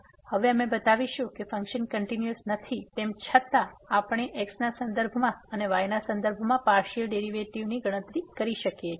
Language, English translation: Gujarati, Now, we will show that though the function is not continuous, but we can compute the partial derivatives with respect to and with respect to